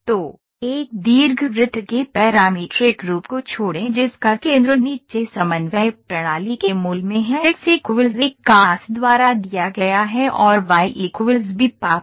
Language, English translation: Hindi, So, Ellipse the parametric form of an ellipse whose centre lies at the origin of the coordinate system below is given by x equal to a cos alpha phi and y equal to b sin phi